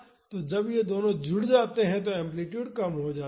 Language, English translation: Hindi, So, when these two get added up the amplitude reduces